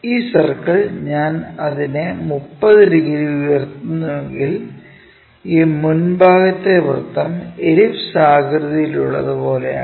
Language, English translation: Malayalam, This circle, if I am rotating it lifting it by 30 degrees, this frontal portion circle turns out to be something like elliptical kind of shape